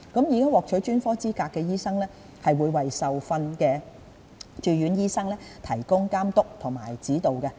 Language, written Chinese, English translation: Cantonese, 已獲取專科資格的醫生會為受訓中的駐院醫生提供監督和指導。, Medical practitioners who have already obtained medical specialist qualifications will provide supervision and guidance to Resident Trainees